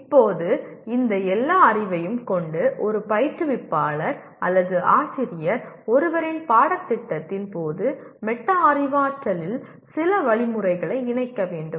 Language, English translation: Tamil, Now with all these knowledge an instructor or a teacher should incorporate some instruction in metacognitive during one’s course